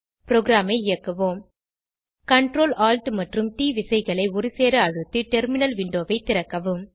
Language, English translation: Tamil, Let us execute the program Open the terminal Window by pressing Ctrl, Alt and T keys simultaneously, on your keyboard